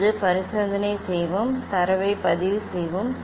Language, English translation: Tamil, now let us do the experiment, record the data